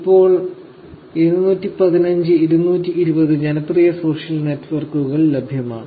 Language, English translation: Malayalam, There are about 215 or 220 popular social networks services that are available now